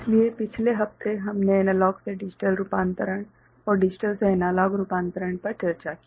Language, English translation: Hindi, So, in the last week we discussed analog to digital conversion and digital to analog conversion